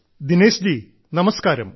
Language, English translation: Malayalam, Dinesh ji, Namaskar